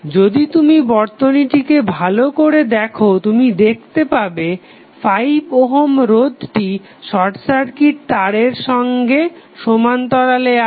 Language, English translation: Bengali, If you see the circuit carefully you will see that 5 ohm is now in parallel with the short circuit wire